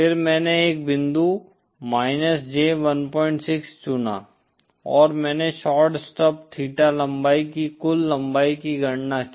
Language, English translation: Hindi, 6 and I calculated the total length of the shorted stub theta length